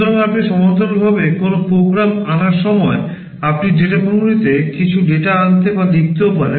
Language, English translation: Bengali, So, while you are fetching a program in parallel you can also fetch or write some data into data memory